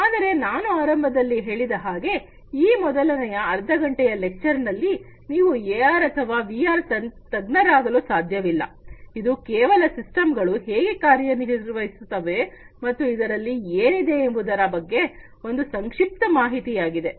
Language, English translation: Kannada, But as I said at the outset that you know through this you know, half an hour lecture you cannot become an expert of AR or VR right this is just to get a brief expository idea about how the systems work and what is in there